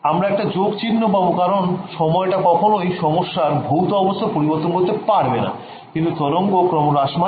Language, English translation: Bengali, We will get a plus sign over here because your time convention does not change the physics of the problem, but the wave will decay ok